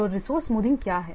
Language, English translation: Hindi, So, what is resource smoothing